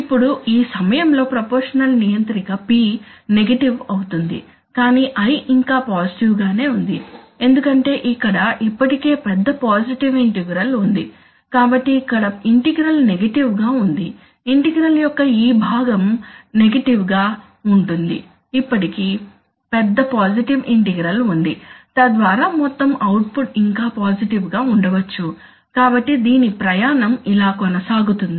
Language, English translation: Telugu, Now at when it is here let us say, when it is here the proportional controller around this point P is negative, P is negative but I is still positive because of the fact that there is already a large positive integral accumulated here, so here integral is negative, this part of the integral is negative but still there is a large positive integral, so it so that overall net output is, maybe still positive, so it continues on this journey